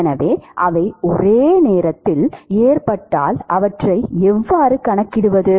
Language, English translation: Tamil, So, if they are occurring simultaneously, how to quantify them